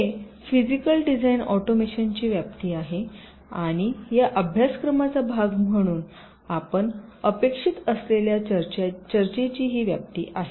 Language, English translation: Marathi, ok, this is this scope of physical design automation and this is the scope of the discussions that we are expected to cover as part of this course